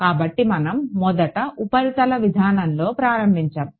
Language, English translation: Telugu, So, we started with the surface approach first what